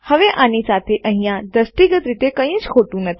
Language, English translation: Gujarati, Now there isnt anything visually wrong with this